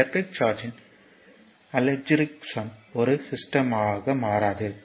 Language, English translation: Tamil, Thus, the algebraic sum of the electric charge is a system does not change